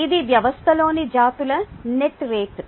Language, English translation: Telugu, this is net rate of the species in the system